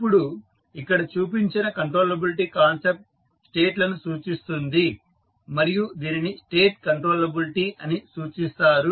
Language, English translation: Telugu, Now, the concept of an controllability given here refers to the states and is referred to as state controllability